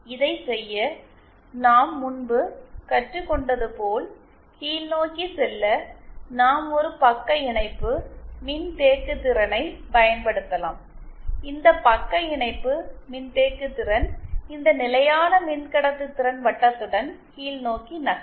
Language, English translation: Tamil, To do this, as we have learned earlier, to go downwards, we can use a shunt capacitance, then this shunt capacitance will move downwards along this constant conductance circle